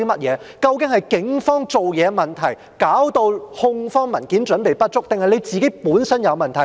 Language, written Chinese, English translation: Cantonese, 究竟是警方辦事的問題，導致控方文件準備不足，還是司長本身有問題？, Was there something wrong with the Polices way of work or was there something wrong with the Secretary that had resulted in the poor preparation of prosecution documents?